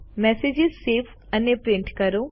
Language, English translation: Gujarati, Save and print a message